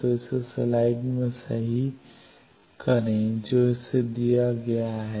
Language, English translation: Hindi, So, correct it in a this slide it is given